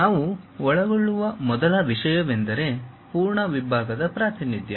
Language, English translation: Kannada, The first topic what we cover is a full section representation